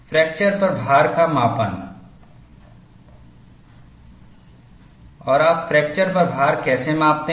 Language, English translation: Hindi, And, how do you measure the load at fracture